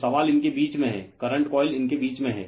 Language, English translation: Hindi, So, question is in between one , between your current coil is there